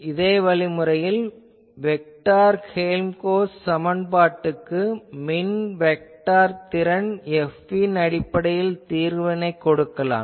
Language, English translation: Tamil, In a similar fashion, we can show that the solution of this vector Helmholtz equation in terms of electric vector potential F